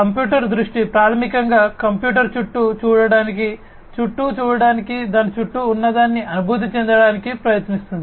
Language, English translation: Telugu, Computer vision is basically trying to enable a computer to see around, to see around, to feel what is around it and so on